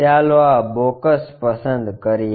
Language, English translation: Gujarati, Let us pick this box